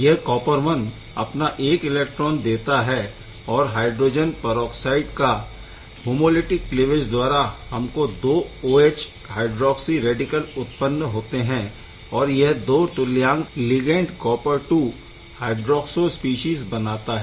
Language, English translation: Hindi, So, this copper I gives one electron hydroxo homolytic cleavage; homolytic cleavage gives you hydroxy radical and hydroxyl radical 2 of them can give rise to 2 L copper II hydroxo species right